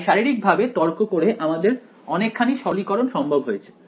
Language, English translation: Bengali, So, just arguing this physically allows us a lot of simplification